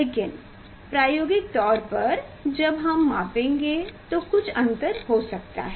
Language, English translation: Hindi, But experimentally when we will measure there may be some difference